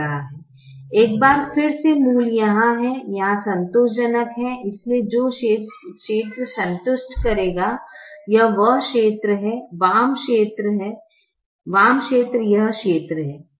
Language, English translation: Hindi, once again, the origin is here, here satisfying, therefore, the region that will satisfy is this region, the left region